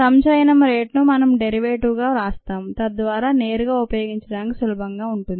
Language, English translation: Telugu, and the rate of accumulation we write as the derivative so that the form is easy to directly use